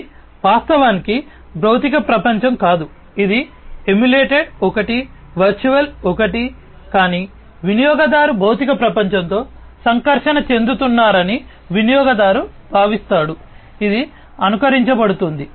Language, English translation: Telugu, It is actually not a physical world, it is an emulated one, a virtual one, but the user feels that user is interacting with the physical world, which is being immolated